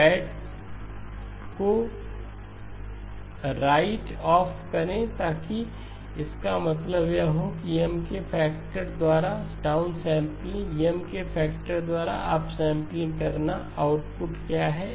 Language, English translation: Hindi, So right off the bat so that means this down sampling by a factor of M, up sampling by a factor of M, what is the output